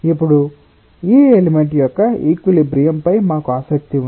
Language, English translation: Telugu, now we are interested about the equilibrium of this element